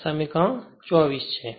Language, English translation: Gujarati, So, this is equation 24